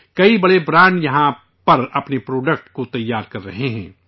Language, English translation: Urdu, Many big brands are manufacturing their products here